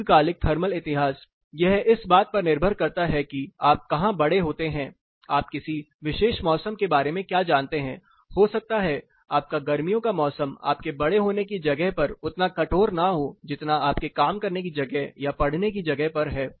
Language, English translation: Hindi, Long term thermal history, it depends on where you grow up what you know about the particular season, your summers may not be as harsh as you know where you grow up would not be as probably may not as harsh as what you experience in the place where you work or where you study